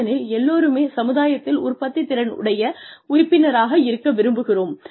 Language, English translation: Tamil, Everybody wants to be a productive member of society